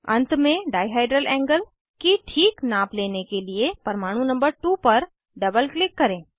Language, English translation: Hindi, Lastly, to fix the dihedral angle measurement, double click on atom number 2